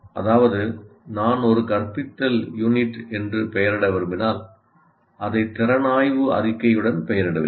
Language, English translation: Tamil, That means if I want to label an instructional unit, I will label it with the competency statement